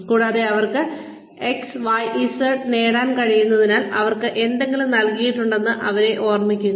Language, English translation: Malayalam, And, to remind them that, they have been given something, because they were able to achieve XYZ